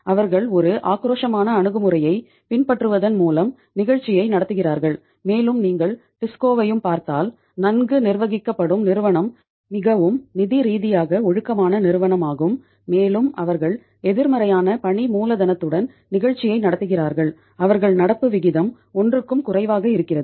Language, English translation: Tamil, They are running the show by following a aggressive approach and if you even see the TISCO also is a uh properly means a well managed company is a highly financially disciplined company and they are also running the show with a negative working capital where their current ratio is less than 1